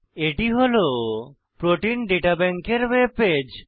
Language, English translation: Bengali, This is the web page of Protein Data Bank